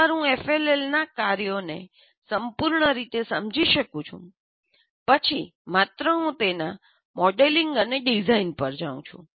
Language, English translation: Gujarati, So once I fully understand the function of an FLL, then only I can go to actual, it's modeling and design